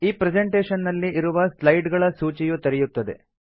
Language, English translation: Kannada, The list of slides present in this presentation opens up